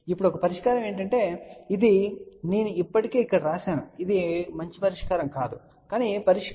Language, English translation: Telugu, Now, one of the solution, this is I have already written here it is a bad solution, but let us see one of the solution